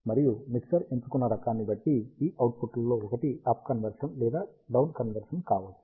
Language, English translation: Telugu, And one of these outputs which chosen depending on the type of the mixture, which can be either up conversion or down conversion